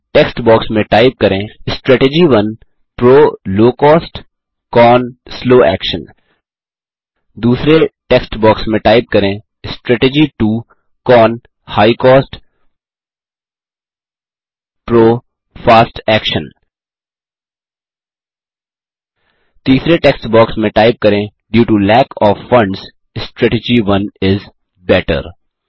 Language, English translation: Hindi, In the first text box type: Strategy 1 PRO: Low cost CON: slow action In the second text box type: Strategy 2 CON: High cost PRO: Fast Action In the third text box type: Due to lack of funds, Strategy 1 is better